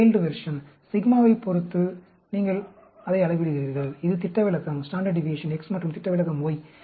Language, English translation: Tamil, You are scaling it down with respect to the sigma; that is standard deviation X, and standard deviation Y